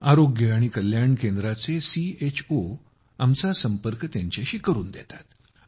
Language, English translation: Marathi, The CHOs of Health & Wellness Centres get them connected with us